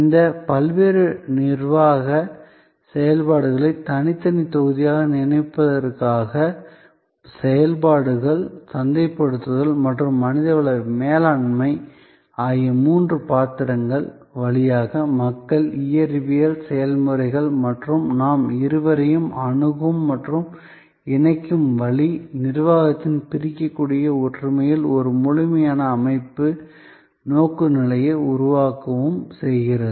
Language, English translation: Tamil, To think of these various managerial functions as separate blocks, so three roles of operations, marketing and human resource management, people, physical processes and the way we reach out and connect the two, create a complete systems orientation, in separable togetherness of the managerial function